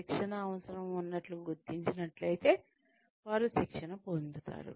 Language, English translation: Telugu, If the training need is found to be there, then they have trained